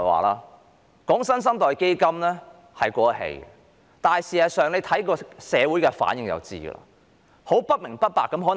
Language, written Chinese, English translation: Cantonese, 討論"新生代基金"已經過時，大家看社會的反應便知道。, The discussion on the New Generation Fund has become outdated as reflected in public response